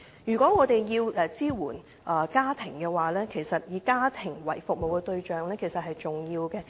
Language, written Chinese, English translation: Cantonese, 如果我們要支援家庭，其實以家庭為服務對象是重要的。, To support the families concerned it is actually important to make families the service target